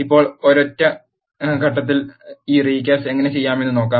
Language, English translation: Malayalam, Now, let us see how to do this recasting in a single step